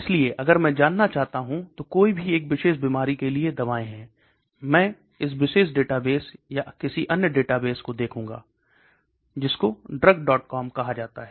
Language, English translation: Hindi, So if I want to know is there are any drugs for a particular disease I would look at this particular database or another database called drugs